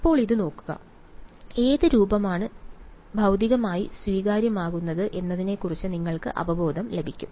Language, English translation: Malayalam, Now, looking at this; they you get an intuition of which form to which form is physically acceptable